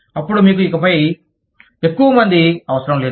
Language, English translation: Telugu, Then, you do not need, that many people, anymore